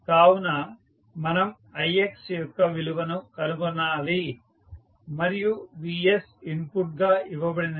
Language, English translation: Telugu, So, we need to find the value of ix and vs is given as an input